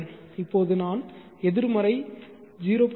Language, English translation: Tamil, 5 now I will put C negative 0